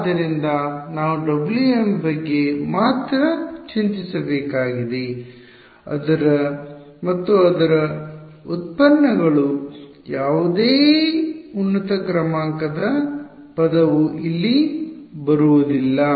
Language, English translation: Kannada, So, I have to only worry about W m and its derivatives no higher order term is coming over here